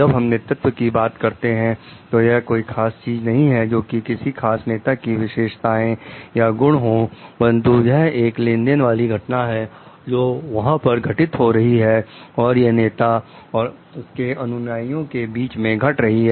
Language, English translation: Hindi, Like when you are talking of leadership, it is not a particular something which is a trait of a or attribute of a particular leader, but it is a transactional event, which is there which happens between that occurs between a follower and a leader